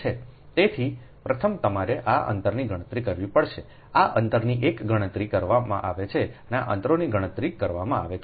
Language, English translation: Gujarati, so first you have to calculate this distances one, this distances are computed, this ah distances are computed